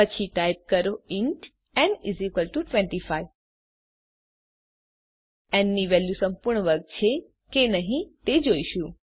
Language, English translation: Gujarati, ThenType int n = 25 We shall see if the value in n is a perfect square or not